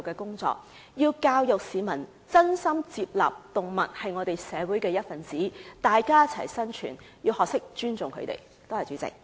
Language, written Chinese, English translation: Cantonese, 我們要教育市民接納動物是社會的一分子，大家一起生存，市民也要學會尊重牠們。, We should educate the public to accept that animals are part of society and they should coexist with humans . Members of the public should also learn to respect animals